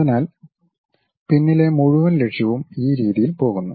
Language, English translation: Malayalam, So, the whole objective at that back end it goes in this way